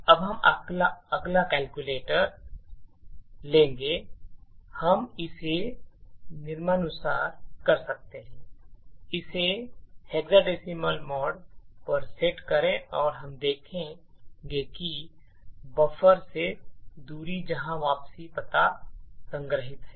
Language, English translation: Hindi, Now we would take our calculator we can do this as follows set it to the hexadecimal mode and we would see what is the distance from the buffer to where the return address is stored